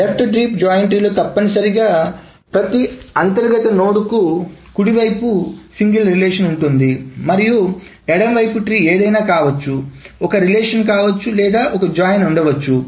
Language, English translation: Telugu, So a left deep joint tree essentially the right side, for every internal node, the right side is a single relation and the left tree can be anything, can be a single relation or can be a joint